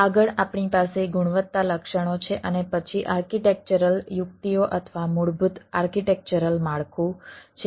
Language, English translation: Gujarati, next, we have the quality attributes and then the architectural tactics or the basic architectural frame work